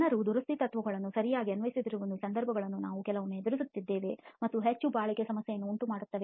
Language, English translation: Kannada, Sometimes we come across situations where people do not apply repair principles properly and end up producing more durability problems